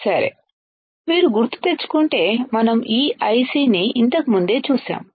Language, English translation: Telugu, And if you remember we have seen this IC earlier also right